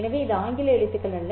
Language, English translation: Tamil, So, this is not English alphabet